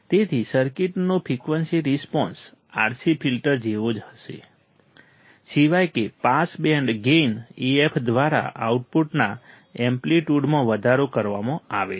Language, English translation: Gujarati, So, frequency response of the circuit will be same as that of the RC filter, except that amplitude of the output is increased by the pass band gain AF